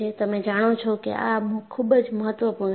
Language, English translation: Gujarati, You know, this is very very important